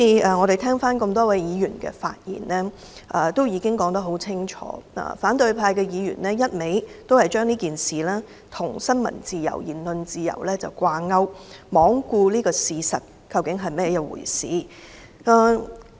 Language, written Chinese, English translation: Cantonese, 我聆聽了多位議員的發言，大家已經說得很清楚，反對派議員一味將這事件與新聞自由和言論自由掛鈎，罔顧事實究竟是怎麼一回事。, I have listened to the speeches of many Members and as Members have stated very clearly the opposition camp is linking the incident to freedom of the press and freedom of speech without regarding what has actually happened